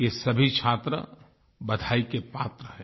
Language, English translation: Hindi, All these students deserve hearty congratulations